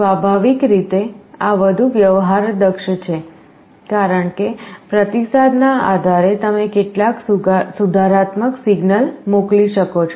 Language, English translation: Gujarati, Naturally, this is more sophisticated because, based on the feedback you can send some corrective signal